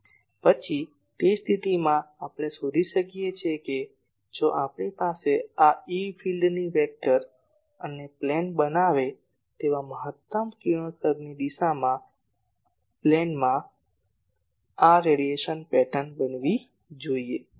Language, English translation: Gujarati, Then in that case we can find that the, if we plot this radiation pattern in the plane where this E field vector and the direction of maximum radiation that makes a plane